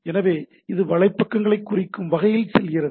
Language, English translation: Tamil, So, it this way it goes on referring to the web pages, right